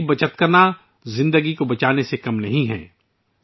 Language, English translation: Urdu, Conserving water is no less than saving life